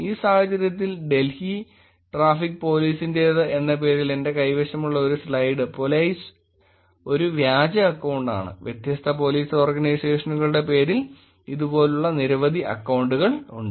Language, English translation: Malayalam, In this case, the slide that I have here which is Delhi Traffic Police p o l i z e is a fake account and there are many, many accounts like these for a different Police Organizations